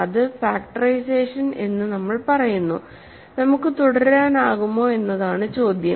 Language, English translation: Malayalam, So, we say that factorization, so the question is can we continue